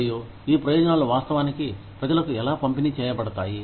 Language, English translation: Telugu, And, how these benefits are actually disbursed, to people